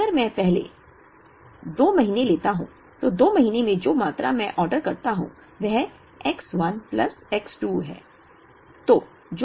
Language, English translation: Hindi, Now, if I take the 1st two months the quantity that I order in two months is X 1 plus X 2